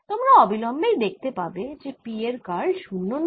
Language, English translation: Bengali, you will immediately see that curl of p is not zero